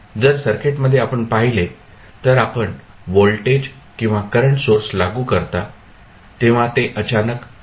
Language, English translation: Marathi, So, in the circuit if you see, when you apply the voltage or current source it is applied suddenly